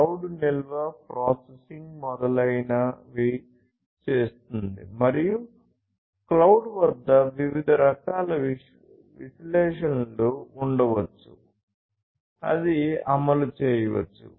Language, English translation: Telugu, And then so, the cloud will do storage, processing etc and at the cloud at the cloud there could be different types of analytics; that could be executed